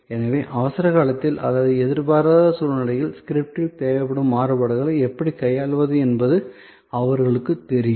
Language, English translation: Tamil, So, that they know how to handle the variations needed in the script in case of an emergency or in case of an unforeseen situation